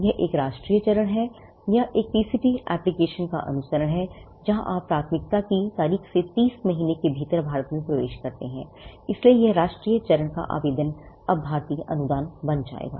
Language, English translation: Hindi, It is a national phase, or the follow up of a PCT application, where you enter India within 30 months from the date of priority, so that, this national phase application will now become an Indian grant